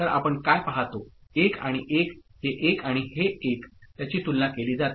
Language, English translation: Marathi, So, what we see 1 and 1, this 1 and this 1 it is compared